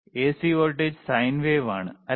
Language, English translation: Malayalam, AC voltage is sine wave, right